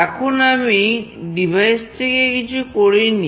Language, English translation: Bengali, Now, I am not changing the device